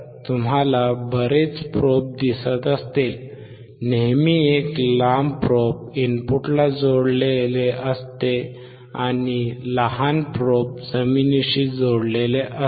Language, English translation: Marathi, So, if you see there are lot of probes, always a longer one is connected to the input, and the shorter one is connected to the probe